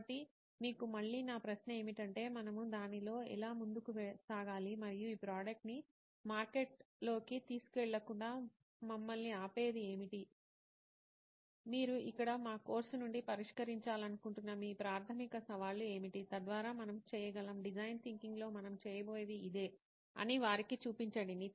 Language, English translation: Telugu, So my question to you again is that how shall we move forward in that and what is stopping us from taking this product out there into the market, what are your primary challenges that you want to address out of our course here, so that we can show them that this is what we are going to do in design thinking